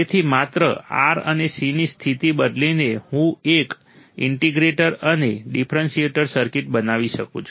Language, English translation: Gujarati, See, so just by changing the position of R and C, I can form an integrator and differentiator circuit